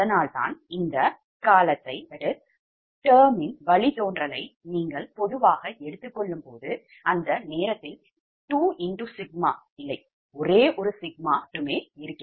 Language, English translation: Tamil, thats why this: when you take that derivative of this term in general, this is a general expression at that time there is no two sigma because of that derivative, only one sigma, right, so it will be